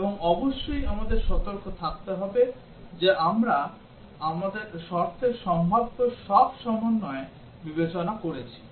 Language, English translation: Bengali, And of course, we have to be careful that we have considered all possible combinations of conditions